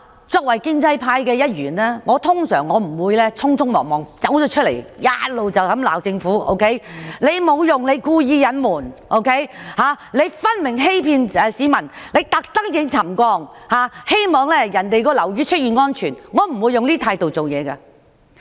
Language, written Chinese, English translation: Cantonese, 作為建制派一員，我不會忙不迭地公開指責政府沒用、故意隱瞞、分明欺騙市民，惡意希望樓宇沉降後會出現安全問題，我不會抱持這種態度做事。, Being a member of the pro - establishment camp I will not hasten to openly criticize the Government of being useless deliberately concealing the matter and blatantly deceiving the public with the malicious wish that safety problems will emerge from the settlement of the buildings . I will not acquit myself with such an attitude